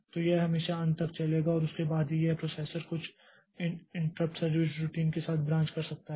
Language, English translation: Hindi, So, it will always go on to the end and then only it can be a processor can branch to some interrupt service routine